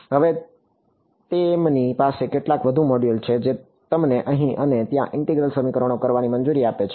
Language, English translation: Gujarati, Now, they have some more modules which allow you to do integral equations here and there